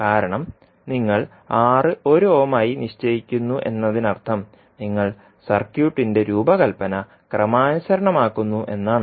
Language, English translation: Malayalam, Because you are fixing R as 1 ohm means you are normalizing the design of the circuit